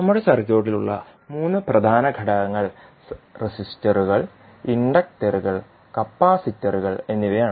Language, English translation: Malayalam, So, let us first see the three key elements which we generally have in our circuit those are resisters, inductors and capacitors